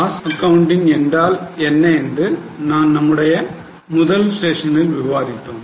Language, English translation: Tamil, In our first session, we discussed about what is cost accounting